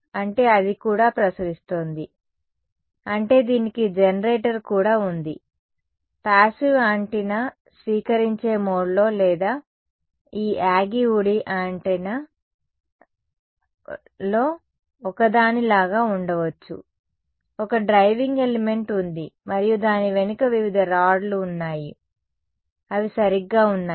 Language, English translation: Telugu, That is it is also radiating; that means, it also has a generator, passive antenna could be is just sort of in receiving mode or like a one of these Yagi Uda antennas, there is one driving element and there are various rods behind it which are there right